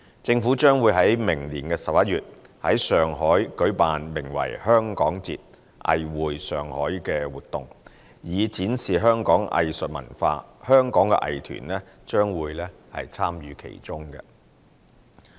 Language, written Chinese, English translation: Cantonese, 政府將會於明年11月在上海舉辦名為"香港節：藝匯上海"的活動，以展示香港藝術文化，香港的藝團將會參與其中。, The Government will hold the Festival Hong Kong―A Cultural Extravaganza@Shanghai in Shanghai in November 2019 for showcasing the arts and culture of Hong Kong and arts groups from Hong Kong will take part in it